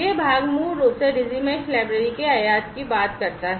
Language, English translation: Hindi, this part basically talks about importing the Digi Mesh library